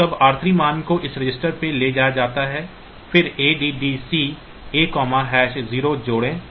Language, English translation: Hindi, So, then r 3 value is moved on to this a register then add C a comma has 0